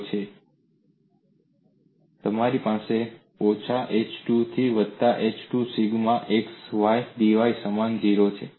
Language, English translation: Gujarati, And you also have minus h by 2 to plus h by 2 sigma xydy equal to 0